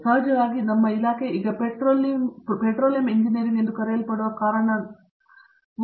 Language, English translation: Kannada, And of course, I will be missing out because our department as now forayed into what we called Petroleum Engineering